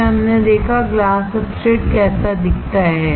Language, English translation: Hindi, Then we saw, how the glass substrate looks like